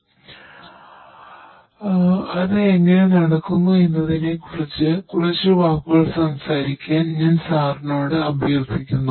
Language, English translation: Malayalam, So, could I request you sir to speak a few words about how it is being done